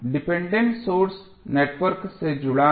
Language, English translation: Hindi, The dependent source which is connected to the network